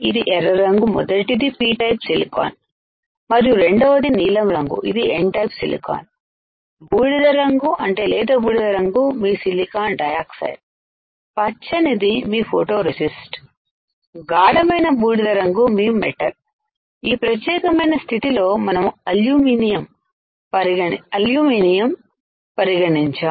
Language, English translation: Telugu, The red one the first one is P type silicon and the second one blue one is N type silicon, the grey one like light grey is your silicon dioxide, green one is your photoresist, dark grey one is your metal, in this case we have considered aluminium